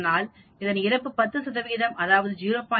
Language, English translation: Tamil, Thus mortality is 10 percent that is 0